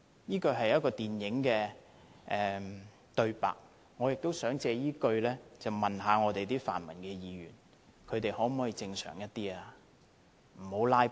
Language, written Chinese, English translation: Cantonese, "這是一齣電影的對白，我亦想用這句話問問我們的泛民議員，他們可否正常一點，不要"拉布"？, which is a line in a movie . I also want to ask the pro - democracy Members if they can be more normal and stop filibustering